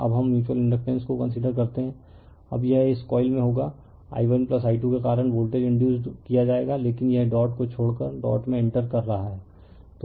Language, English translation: Hindi, Now let us consider the mutual inductance, now it will be this coil in this coil voltage will be induced due to i 1 plus i 2, but it is by entering the dot leaving the dot